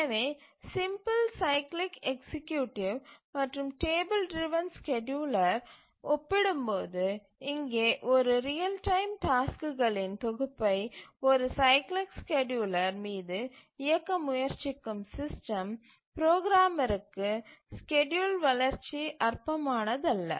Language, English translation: Tamil, So, compared to the simple cyclic executive and the table driven scheduler, here for the system programmer who is trying to run a set of real time tasks on a cyclic scheduler, the development of the schedule is non trivial